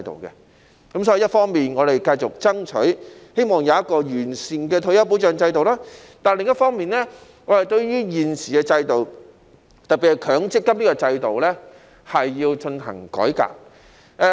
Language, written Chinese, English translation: Cantonese, 所以，一方面，我們繼續爭取，希望有一個完善的退休保障制度；但另一方面，對於現時的制度，特別是強積金的制度是要進行改革。, Therefore on the one hand we will continue to strive for a sound retirement protection system but on the other hand the existing system especially the MPF system warrants a reform . Indeed the public have a fairly mediocre impression of MPF